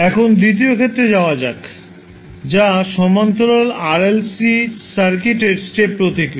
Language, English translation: Bengali, Now, let us move on to the second case that is step response for a parallel RLC circuit